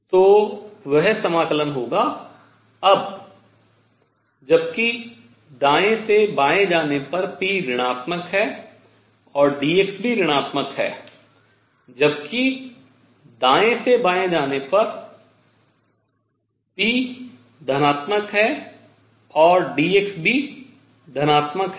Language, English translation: Hindi, So, that will be the integral now while going from right to left p is negative and d x is also negative while going from right to left p is positive and dx is also positive